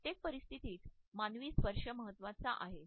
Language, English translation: Marathi, Human touch is important in every circumstances